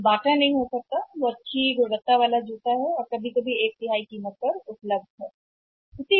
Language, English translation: Hindi, That may not be Bata that is good quality shoe and is available sometime at the one third of the price